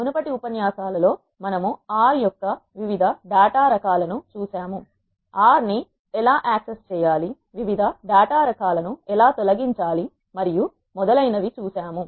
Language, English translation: Telugu, In the previous lectures we have seen various data types of R, how to access R delete the elements of the different data types and so on